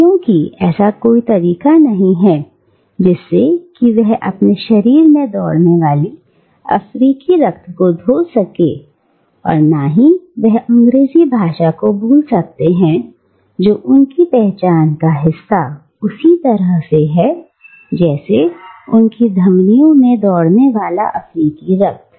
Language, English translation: Hindi, Because there is no way he can wash away the African blood that runs through his body and neither can he unremember the English tonguewhich is as much part of his identity as the African blood in his veins